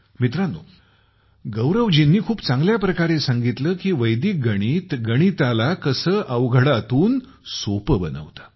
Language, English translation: Marathi, Friends, Gaurav ji has very well explained how Vedic maths can transform mathematicsfrom complex to fun